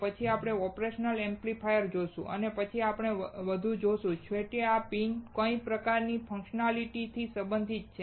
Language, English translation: Gujarati, We will see operational amplifier later and then we will see more; how these pins are related to what kind of functionality finally